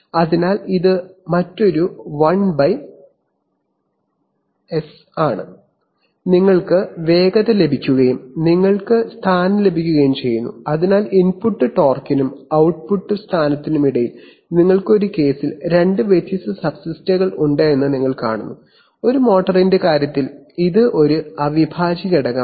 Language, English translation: Malayalam, So this is another 1/s and you get velocity and you get position, so you see that the between input torque and output position, you have two different subsystems in this case, in the case of a motor it is an integral